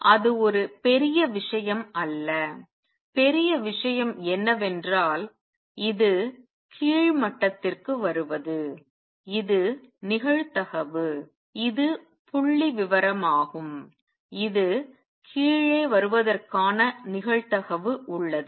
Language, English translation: Tamil, So, that is not a big thing, what is big is that this coming down to lower level is probabilistic it is statistical, it has a probability of coming down